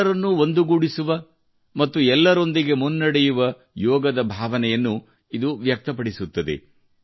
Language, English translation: Kannada, It expresses the spirit of Yoga, which unites and takes everyone along